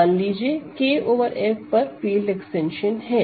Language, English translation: Hindi, Let K over F be a field extension